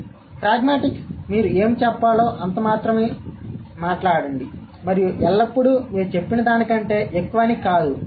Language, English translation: Telugu, So, pragmatics would also say, speak only that much what you must and always mean more than what you have said